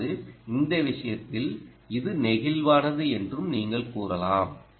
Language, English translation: Tamil, so that means, in other words, you can say it is flexible